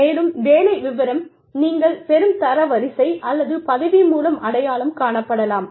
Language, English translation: Tamil, And, the job description could be identified, by the rank, that you get, or the designation, you have